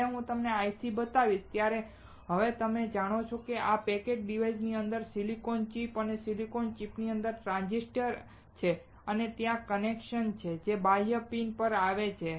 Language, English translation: Gujarati, when I show you this IC, now you know that within this packaged device there is a silicon chip and within the silicon chip there are transistors and there are connections that comes out to these external pins